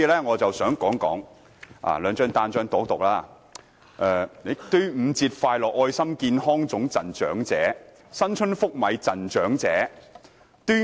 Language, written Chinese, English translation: Cantonese, 我先讀出這兩張傳單的標題："端午節快樂愛心健康粽贈長者"、"新春福米贈長者"。, Let me first read out the headlines of these two leaflets Happy Dragon Boat Festival Healthy rice dumplings for elders and Free rice for elders good luck in New Year